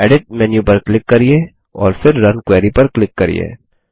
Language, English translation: Hindi, Click on Edit menu and then click on Run Query